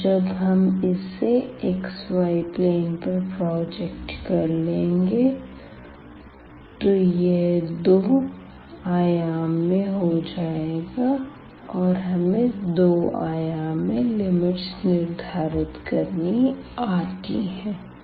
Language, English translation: Hindi, And, once we project to the xy plane we are in the 2 dimensions and we know how to fix the limit for 2 dimensional case